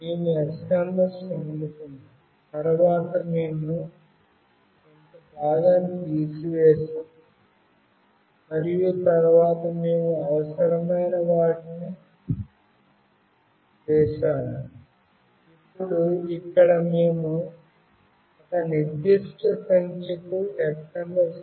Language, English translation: Telugu, We received the SMS, then we cut out some part and then we did the needful, now here we have to send the SMS to a particular number